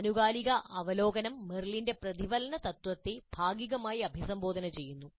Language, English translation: Malayalam, And periodic review is partly addresses the reflection principle of Merrill